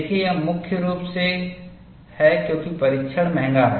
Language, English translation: Hindi, See, this is mainly because, the test is expensive